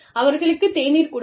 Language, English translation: Tamil, Offer them, tea